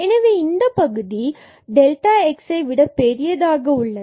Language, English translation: Tamil, So, this term is certainly bigger than this delta x